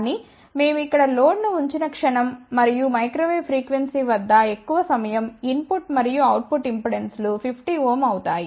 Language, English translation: Telugu, But the moment we put a load over here and at microwave frequencies most of the time input and output impedances are 50 ohm